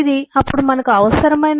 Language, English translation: Telugu, there has to be a